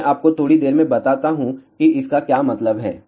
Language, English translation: Hindi, I tell you in a short while what does that mean